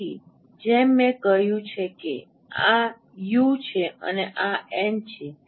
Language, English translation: Gujarati, So as I mentioned this is u, this is n